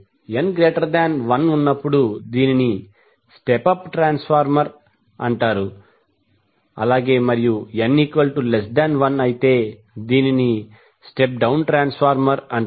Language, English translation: Telugu, When N greater than one it means that the we have the step of transformer and when N is less than one it is called step down transformer